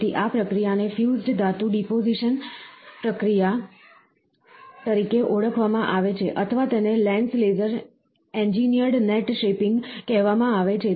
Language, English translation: Gujarati, So, this process is called as fused metal deposition process, or it is called as lens laser engineered net shaping